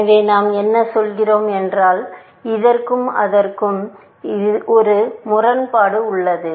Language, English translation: Tamil, There is a contradiction between this and this, and this and this